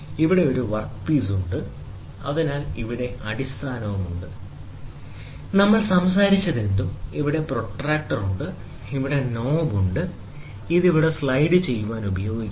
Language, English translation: Malayalam, Here is a work piece, so here is the base, whatever we talked about, here is the protractor, and here is the knob, this is used to slide here